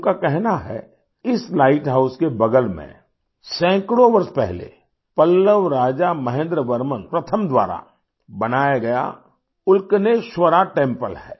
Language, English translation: Hindi, He says that beside this light house there is the 'Ulkaneshwar' temple built hundreds of years ago by Pallava king MahendraVerman First